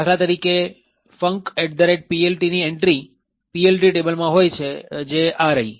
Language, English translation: Gujarati, So, for an example func at PLT has an entry in the PLT table which is this